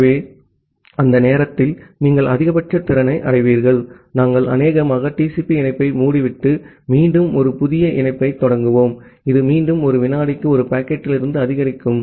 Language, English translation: Tamil, So, by the time, you will reach at the maximum capacity, we will probably close the TCP connection, and start again a new connection, which will again increase from one packet per second